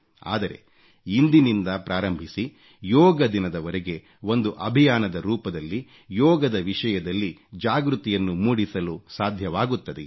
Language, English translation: Kannada, Can we, beginning now, till the Yoga Day, devise a campaign to spread awareness on Yoga